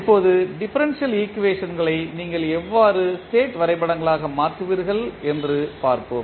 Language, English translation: Tamil, Now, let us see how you will convert the differential equations into state diagrams